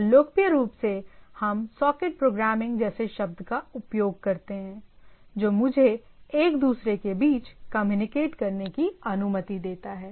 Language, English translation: Hindi, And popularly what we use the term like socket programming and so and so forth, which allows me to communicate between each other